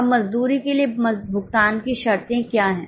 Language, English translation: Hindi, Now what are the terms of payments for wages